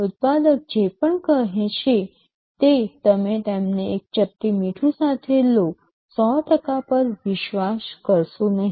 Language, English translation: Gujarati, Whatever the manufacturer says you take them with a pinch of salt, do not trust them 100%